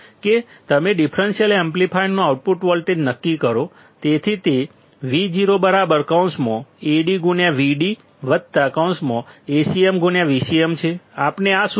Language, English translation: Gujarati, That you determine the output voltage of differential amplifier; so, V o is nothing, but Ad into V d plus Acm into V c m; we know this formula